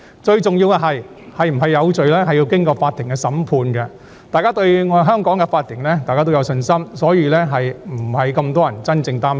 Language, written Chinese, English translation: Cantonese, 最重要的是，定罪與否必須經法庭審判，大家對香港的法庭有信心，故此，並沒有太多人真的擔心。, Most importantly it is up to the court to convict a person upon trials and we have confidence in the court of Hong Kong . Therefore not so many people are actually worried